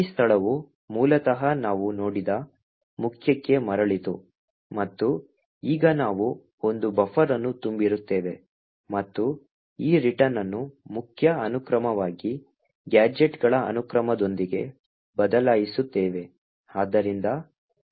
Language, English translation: Kannada, This location originally had the return to main which we had seen and now we overflow a buffer and replace this return to main with this sequence of gadgets